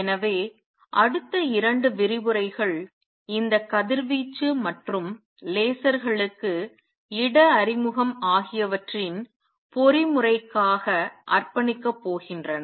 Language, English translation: Tamil, So, next 2 lectures are going to be devoted to this mechanism of radiation and place introduction to lasers